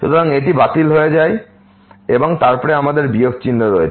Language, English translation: Bengali, So, this gets cancelled and then we have with minus sign